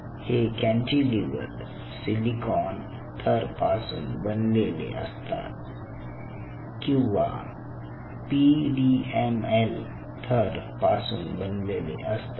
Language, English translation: Marathi, and most of these kind of cantilevers are made on silicon substrate or they are made on pdml substrate